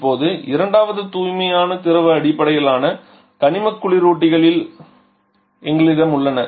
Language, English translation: Tamil, Now second is we have the pure fluid based inorganic refrigerants